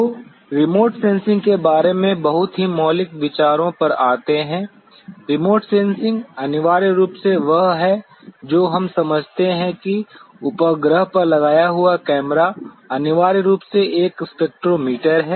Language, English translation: Hindi, So, coming to the very fundamental ideas about the remote sensing; the remote sensing essentially are what we understand the camera that is mounted on a satellite is essentially a spectrometer